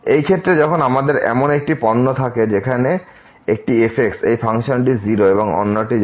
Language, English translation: Bengali, So, in this case when we have such a product where one this function goes to 0 and the other one goes to infinity